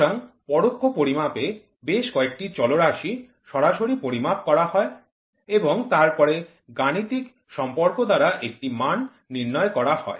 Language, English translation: Bengali, So, in indirect measurements, several parameters are measured directly and then a value is determined by mathematical relationship